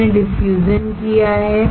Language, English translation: Hindi, We have done diffusion